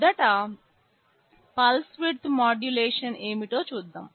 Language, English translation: Telugu, First let us see exactly what pulse width modulation is